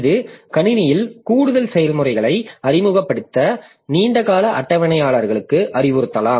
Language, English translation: Tamil, So, that may instruct that long term scheduler to introduce more processes into the system